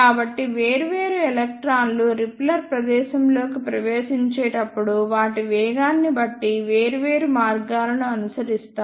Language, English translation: Telugu, So, different electrons follow different paths depending upon their velocities while they enter the repeller space